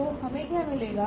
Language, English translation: Hindi, So, what we will get